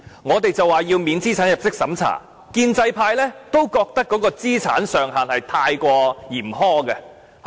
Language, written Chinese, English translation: Cantonese, 我們要求不設資產入息審查，建制派也覺得那個資產上限過於嚴苛。, We demanded that no means test be introduced and the pro - establishment camp also considered the asset limit to be too harsh